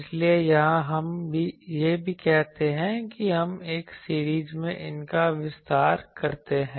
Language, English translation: Hindi, So, here we also say that we expand these in a series